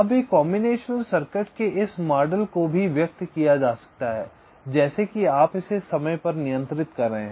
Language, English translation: Hindi, this model of a combination circuit can also be expressed as if you are un rolling it in time